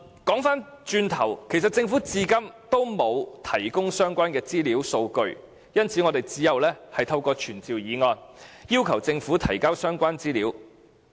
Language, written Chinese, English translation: Cantonese, 說回頭，政府至今仍沒有提供相關資料數據，因此我們只有透過傳召議案，要求政府提交相關資料。, Anyway to date the Government has not provided any relevant information and materials . Therefore we can only use a summoning motion to request the Government to provide information